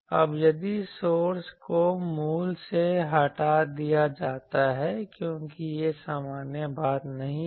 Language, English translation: Hindi, Now, if the source is removed from the origin because this is not the general thing